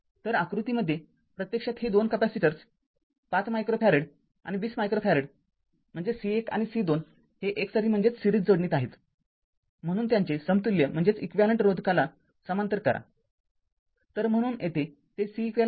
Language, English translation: Marathi, So, figure this actually this 2 capacitors are in series 5 micro farad and 20 micro C 1 and C 2 so, its equivalent to the way you do the parallel resistor